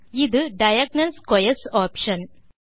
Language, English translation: Tamil, This is the Diagonal Squares option